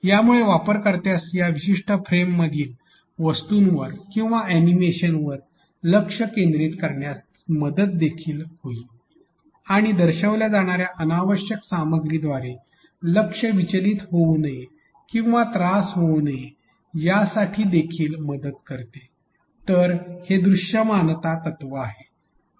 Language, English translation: Marathi, This also helps that the user can concentrate on the objects or the animations within this particular frame and not get carried away or bog down by the unnecessary contents which are shown; so that is the visibility principle